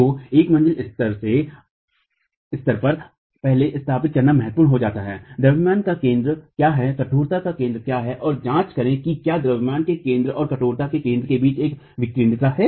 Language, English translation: Hindi, So, at the level of a story, it becomes important to first establish what is the center of mass, what is the center of stiffness, and examine if there is an eccentricity between the center of mass and the center of stiffness